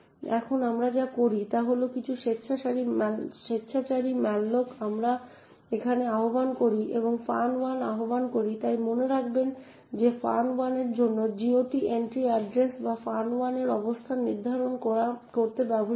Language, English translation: Bengali, Now what we do is some arbitrary malloc we invoke here and invoke function 1, so note that so now note that the GOT entry for function 1 is used to determine the address or the location of function 1